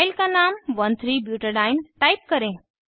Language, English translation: Hindi, Type the filename as 1,3 butadiene